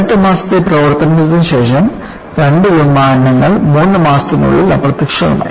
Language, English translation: Malayalam, After only 18 months of service,two aircrafts disappeared within three months of each other